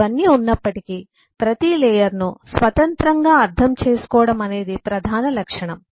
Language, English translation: Telugu, but in spite of all of that, the major property is that eh, every layer can be independently understood